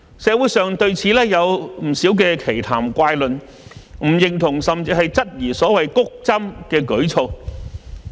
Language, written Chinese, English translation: Cantonese, 社會上對此有不少奇談怪論，不認同甚至質疑所謂"谷針"的舉措。, There are many weird talks in the community opposing or even casting doubt on the attempts to boost vaccination